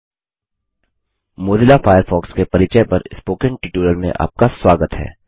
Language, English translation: Hindi, Welcome to the Spoken tutorial on Introduction to Mozilla Firefox